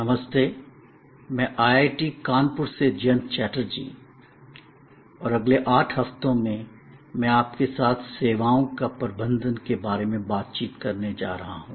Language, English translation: Hindi, Hi, this is Jayanta Chatterjee from IIT, Kanpur and over the next 8 weeks, I am going to focus on and discuss with you interactively about Managing Services